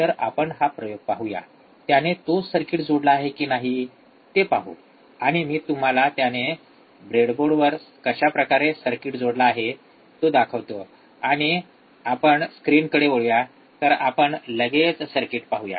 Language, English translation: Marathi, So, we will see this experiment, let us see the same circuit he has attached, and I will show it to you how he has attached on the breadboard, and then we come back to the to the screen alright so, let us see the circuit